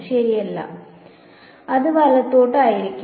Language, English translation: Malayalam, No right, it will be to the right